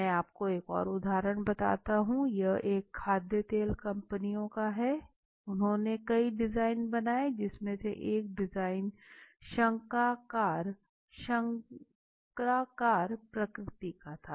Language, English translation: Hindi, I tell you one more example, this had happened with one of the oil companies you know Edible oil what they did was they has made several designs one of the design was conical in nature, right